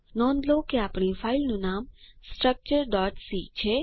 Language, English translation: Gujarati, Note that our filename is structure.c